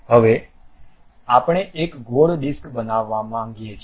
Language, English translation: Gujarati, Now, we would like to make a circular disc